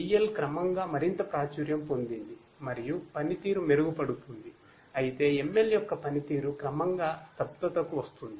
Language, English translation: Telugu, DL gradually becomes more and more popular and useful the performance improves whereas, you know ML the performance of ML will gradually come to a stagnation